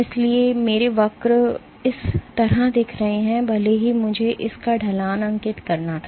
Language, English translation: Hindi, So, my curves are looking like this, even if I were to draw the slope of this